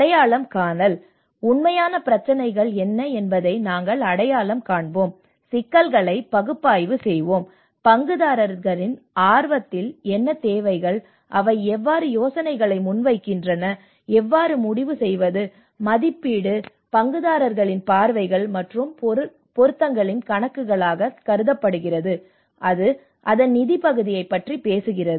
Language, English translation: Tamil, Identification so here we will identity what are the real problems you know analyse the problems, what are the needs in the stakeholder interest, how they project ideas, how to decide on, and this is where the appraisal you know it talks about how it can consider the accounts of stakeholder views and relevances and it talks about the finance part of it